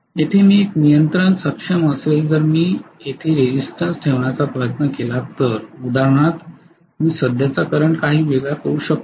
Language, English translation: Marathi, Whereas here I will be able to have a control if I try to put a resistance here for example, I can make the current somewhat different